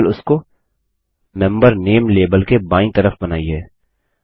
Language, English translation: Hindi, Just draw it to the left of the Member name label